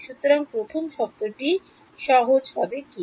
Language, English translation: Bengali, So, what is the first term simply to